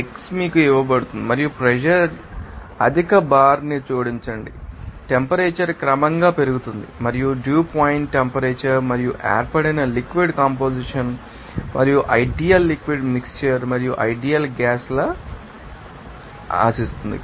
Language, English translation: Telugu, x is given to you and add pressure high bar the temperature is gradually increased and what is the dew point temperature and the composition of the liquid that is formed and assume ideal you know liquid mixture and ideal gas law